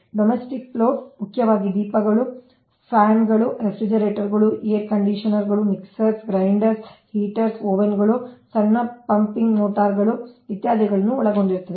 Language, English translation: Kannada, domestic load mainly consists of lights, fans, refrigerators, air conditioners, mixer grinders, heaters, ovens, small pumping motors, etc